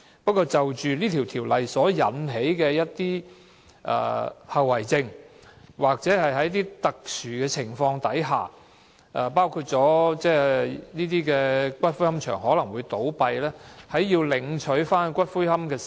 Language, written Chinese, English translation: Cantonese, 不過，這項《條例草案》所引起的一些後遺症，就是在特殊情況下，包括這些龕場會倒閉，誰有權領取骨灰。, However the Bill will cause some sequelae that under special circumstances including the closure of these columbaria give rise to the need for determination who has the right to claim ashes